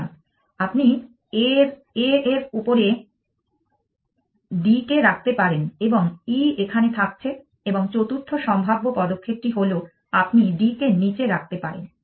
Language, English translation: Bengali, So, you can put D on top of a, whereas E remains here and the fourth possible move is that you can put D down